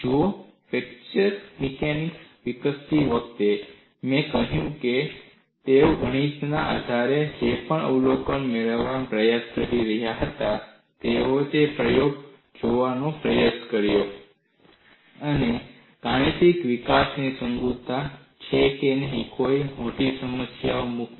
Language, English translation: Gujarati, See, while developing fracture mechanics, I have said, whatever the observations they were trying to derive based on mathematics, they tried to look at in an experiment to whether verify the mathematical development has been consistent, free of any major problems